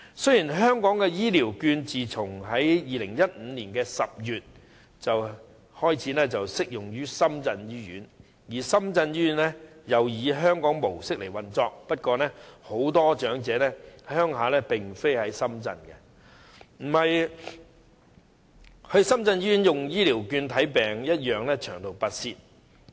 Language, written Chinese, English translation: Cantonese, 雖然香港的醫療券自2015年10月起適用於深圳醫院，而深圳醫院亦以香港模式運作，但很多長者的家鄉不在深圳，前往深圳醫院使用醫療券求診同樣需長途跋涉。, Hong Kongs health care vouchers have become applicable to Shenzhen Hospital since October 2015 and Shenzhen Hospital also adopts Hong Kongs style in its operation . But as Shenzhen is not the hometown of many elderly people they also need to travel afar to Shenzhen Hospital where they seek medical treatment with their health care vouchers